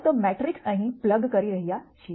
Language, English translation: Gujarati, Simply plugging in the matrices here